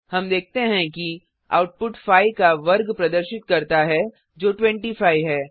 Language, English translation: Hindi, We see that the output displays the square of 5 that is 25